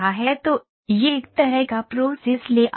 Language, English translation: Hindi, So, this is a kind of a process layout